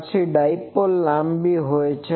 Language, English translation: Gujarati, Then the dipole is long